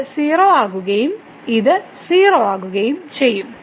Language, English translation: Malayalam, So, this will become 0 and this is 0